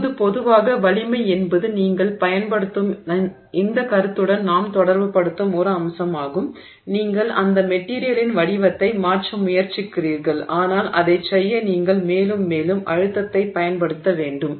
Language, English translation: Tamil, Now, generally the strength is a feature or an aspect of the material that we associate with this concept that you are applying, you are trying to change the shape of that material but you have to keep applying more and more stress to do that